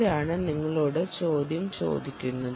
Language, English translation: Malayalam, who is asking you the question